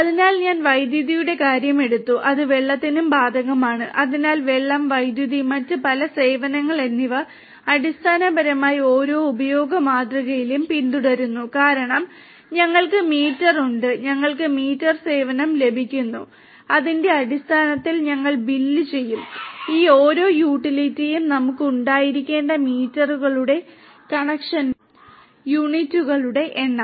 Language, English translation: Malayalam, So, I took the case I took the case of electricity the same applies for water as well, so water, electricity and many different other services basically follow the pay per use model because we have meter, we are getting meter service and we will be billed based on the number of units of the meters of conjunction that we will have for each of these utility